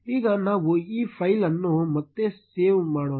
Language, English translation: Kannada, Now let us save this file again